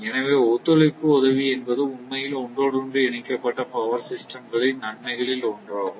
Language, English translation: Tamil, So, that is that coopering assistance actually, is one of the plan benefit of interconnected power system